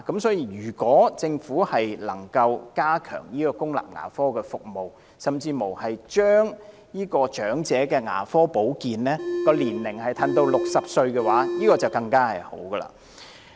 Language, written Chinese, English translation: Cantonese, 所以，如果政府能加強公立牙科服務，甚至把長者牙科保健服務的合資格年齡降至60歲就更好。, Therefore if the Government can enhance the public dental services and even lower the eligible age for elderly dental care services it will be much better